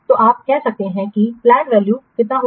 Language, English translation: Hindi, So, you can say plan value will be how much